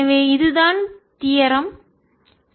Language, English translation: Tamil, so this is the origin